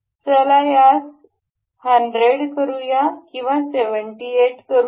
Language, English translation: Marathi, Let us make it 100 say 78